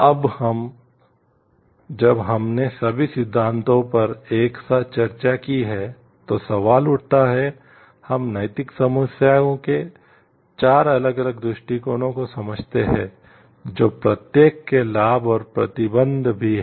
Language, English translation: Hindi, Now, when we have discussed all theories together, question come up we understand 4 different approaches of ethical problem solving each having its benefits and also restrictions